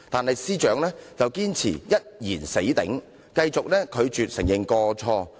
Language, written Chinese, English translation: Cantonese, 可是，司長卻堅持"一言死頂"，繼續拒絕承認過錯。, The Secretary for Justice on the other hand stood firm and refused to admit any wrongdoing